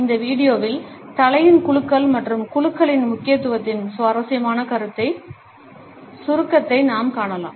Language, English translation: Tamil, In this video we can look at interesting summarization of the significance of nod and shake of the head